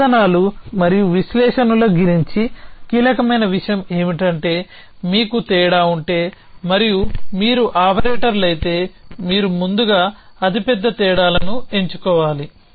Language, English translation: Telugu, And then the key thing about means and analysis is at if you have difference is and if you a operators you must choose a largest differences first